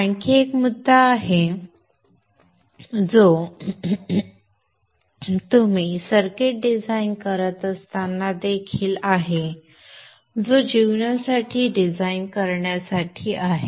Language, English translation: Marathi, There is another point which is also there while you are designing circuits that is to design for life